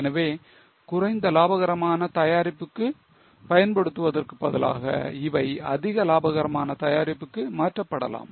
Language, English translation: Tamil, So, instead of using it for less profitable product, it can be transferred for more profitable product